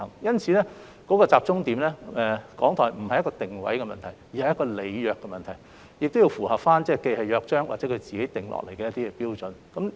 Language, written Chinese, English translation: Cantonese, 因此，重點並不在於港台的定位問題，而在於履約問題，以及同時符合《約章》及港台自行訂定的標準。, The focus therefore does not be on the positioning of RTHK but on the issue of compliance with the relevant requirements as well as meeting the standards set out in the Charter and drawn up by RTHK on its own